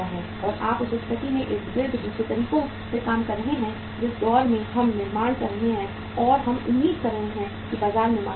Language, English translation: Hindi, And you take about the other way around the situation in another way round that we are manufacturing and we are storing expecting that there will be a demand in the market